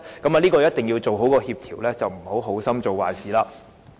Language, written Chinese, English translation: Cantonese, 當中一定要妥善協調，免得好心做壞事。, Proper coordination is required for the proposal lest this good intention backfires